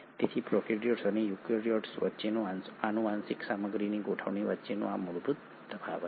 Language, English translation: Gujarati, So this is the basic difference between the arrangement of genetic material between prokaryotes and eukaryotes